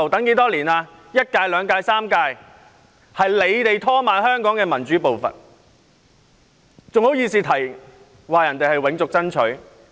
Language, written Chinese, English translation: Cantonese, 是反對派在拖慢香港的民主步伐，他們還好意思取笑人家永續爭取。, It is the opposition camp which delays Hong Kongs democracy . How dare they make fun of others for engaging in a long - term fight?